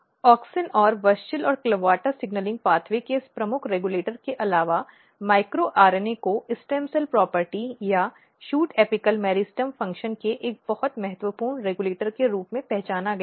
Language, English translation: Hindi, Apart from auxin and this key regulator of WUSCHEL and CLAVATA signaling pathway, micro RNA has been identified as a very important regulator of stem cell property or shoot apical meristem function